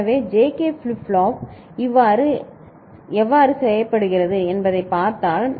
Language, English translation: Tamil, So, this is how the JK flip flop is made right